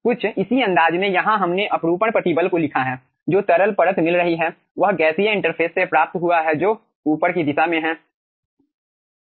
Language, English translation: Hindi, okay, in a similar fashion, here we have written the shear stress, what it is getting the liquid layer is getting from the gaseous interface which is in the upward direction